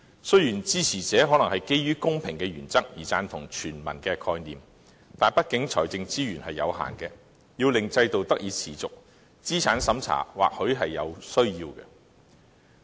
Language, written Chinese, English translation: Cantonese, 雖然支持者可能基於公平的原則而贊同全民的概念，但畢竟財政資源有限，要令制度得以持續，資產審查或許是有需要的。, Supporters of the system may have thrown their weight behind the principle of universality on the ground of fairness . However the amount of financial resources we have is limited and a means test may be needed for the systems sustainability